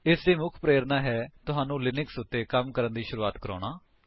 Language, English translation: Punjabi, The main motivation of this is to give you a head start about working with Linux